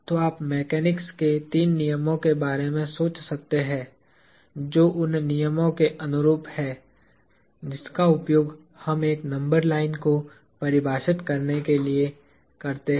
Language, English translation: Hindi, So, you could think of the three laws of mechanics as being analogous to the rules we use to define a number line